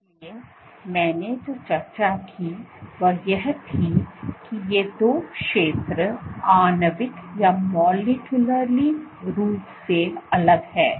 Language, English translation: Hindi, So, what I also discussed was these two zones are molecularly distinct